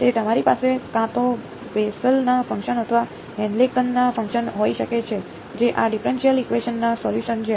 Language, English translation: Gujarati, So, you can either have Bessel’s functions or Henkel’s functions which are solutions to this differential equation